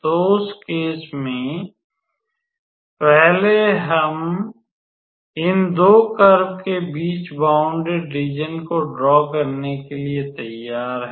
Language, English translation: Hindi, So, then in that case in the first case now we are ready to draw our area bounded between these 2 curves